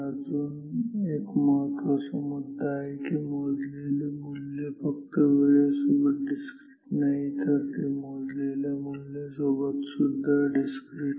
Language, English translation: Marathi, There is another fact, another important fact, that fact is that the measured value is not just discrete in time; it will also be discrete in the measured value